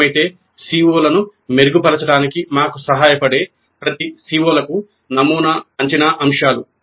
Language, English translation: Telugu, Then sample assessment items for each one of the COs that helps us if required to define the COs